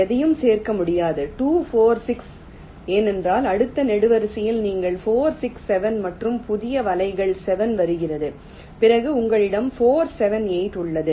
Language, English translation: Tamil, you cannot include anything is two, four, six, because in the next column your four, six, seven and new nets, seven, is coming in